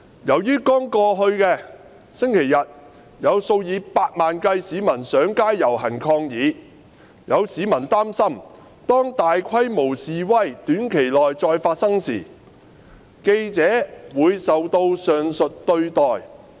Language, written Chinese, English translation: Cantonese, 由於剛過去的星期日有數以百萬計市民上街遊行抗議，有市民擔心當大規模示威短期內再發生時，記者會受到上述對待。, Since over a million of members of the public took to the streets to protest on the Sunday just passed some members of the public are worried that journalists will be treated in the aforesaid manner when large - scale demonstrations take place again in the near future